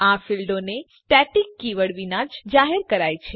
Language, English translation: Gujarati, These fields are declared without the static keyword